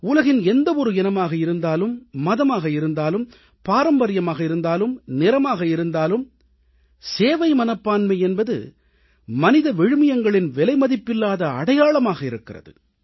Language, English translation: Tamil, Be it any religion, caste or creed, tradition or colour in this world; the spirit of service is an invaluable hallmark of the highest human values